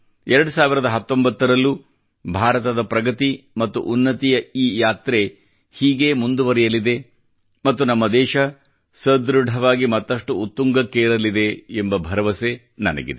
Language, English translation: Kannada, I sincerely hope that India's journey on the path of advancement & progress continues through 2019 too